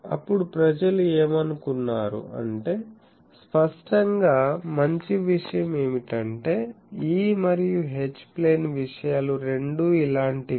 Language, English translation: Telugu, Then people thought that to; obviously, a better thing will be that is both E and H plane things are there like this